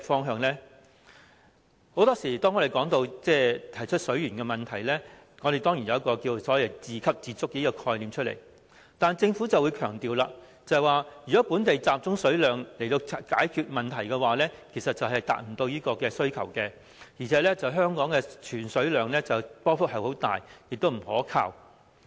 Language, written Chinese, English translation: Cantonese, 很多時候，當我們提出水源問題時，當然會提到所謂自給自足的概念，但政府會強調，如果本地集中水量以解決問題，其實是未能達到需求，而且香港儲水量的波幅很大，亦不可靠。, More often than not when discussing the issue of water resources we will inevitably talk about self - reliance . However the Government always emphasizes that local water resources alone cannot solve the problem because they cannot meet the demand and that the storage level of Hong Kong fluctuates a lot and is unreliable